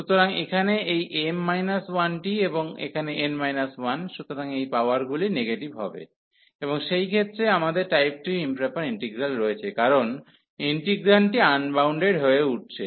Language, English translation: Bengali, So, here this is m minus 1 and here n minus 1; so these powers will become negative, and in that case we have the improper integral of type 2, because the integrand is becoming unbounded